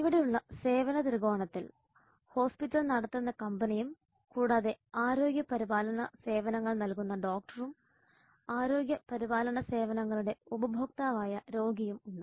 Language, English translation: Malayalam, The service triangle here are the hospital which is the company which is running the hospital and then there is the doctor who is provider of the healthcare service and patient who is the customer of the healthcare services